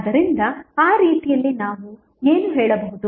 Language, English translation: Kannada, So, in that way what we can say